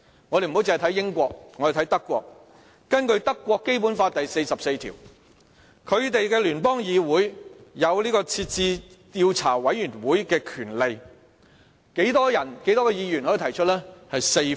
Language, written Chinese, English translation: Cantonese, 我們不單看英國，我們也看看德國，根據德國的《基本法》第四十四條，德國的聯邦議會有成立調查委員會的權力，需要多少名議員提出呢？, Besides looking at the United Kingdom we may also look at Germany . Under Article 44 of the Basic Law for the Federal Republic of Germany the Bundestag is empowered to set up committees of inquiry . What is the number of Bundestag members required for raising one such proposal?